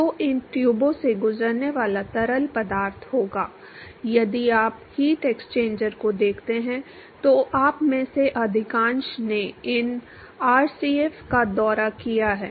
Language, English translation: Hindi, So, there will be fluid which is flowing passed these tube if you look at heat exchangers, most of you have visited these RCF right